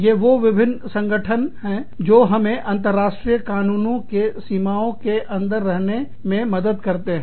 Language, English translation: Hindi, Various organizations, that help us, stay within the confines of, international law